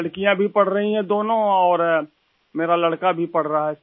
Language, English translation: Hindi, Both daughters as well as the son are studying Sir